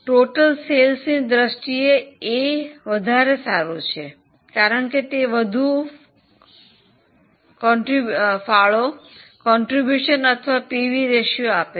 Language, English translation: Gujarati, If you see by total sale wise A is far better because it gives you more percentage contribution or more PV ratio